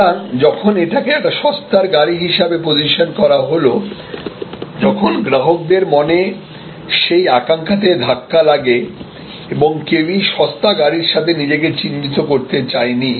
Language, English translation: Bengali, So, when it was positioned as a cheap car, then it undermined that aspiration in the customer's mind and nobody wanted to be identified with a cheap car